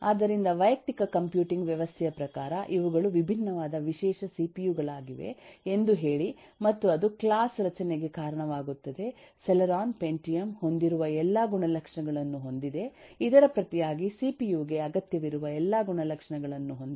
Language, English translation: Kannada, so in terms of a personal computing system, say that these are, these are different, special kinds of cpu that are possible, and that is what gives rise to the class structure which says that celeron has all the properties that pentium has, which in turn has all the properties that the cpu need to have independently